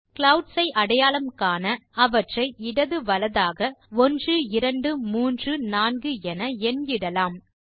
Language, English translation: Tamil, To identify the clouds, lets number them 1, 2, 3, 4, starting from left to right